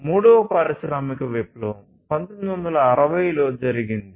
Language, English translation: Telugu, Then came the third industrial revolution that was in the 1960s and so on